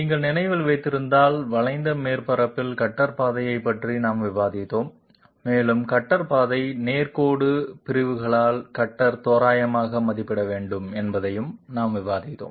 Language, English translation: Tamil, If you remember, we had discussed about cutter path on a curved surface and we had also discussed that the cutter path has to be approximated by the cutter by straight line segments